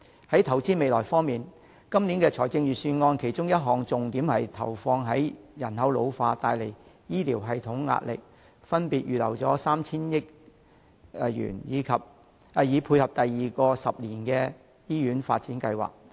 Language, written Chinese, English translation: Cantonese, 在投資未來方面，今年預算案其中一項重點是針對人口老化造成醫療系統的壓力，預留 3,000 億元以配合推行第二個十年醫院發展計劃。, Insofar as investing in the future is concerned one of the highlights of the Budget this year is to pinpoint the pressure exerted by the ageing population on the health care system by earmarking 300 billion for tying in with the implementation of the second 10 - year Hospital Development Plan